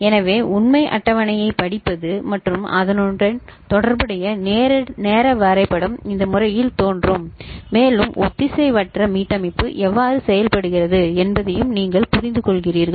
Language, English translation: Tamil, So, this is how to read the truth table and corresponding timing diagram would appear in this manner and also you understand how asynchronous reset works